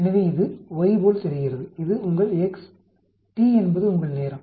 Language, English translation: Tamil, So this looks like y, this is your x, t is your time